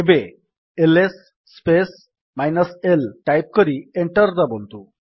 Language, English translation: Odia, Now type: $ ls space l and press Enter